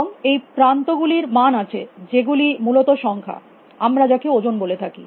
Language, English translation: Bengali, And edges have values, which are numbers essentially all weights as we call them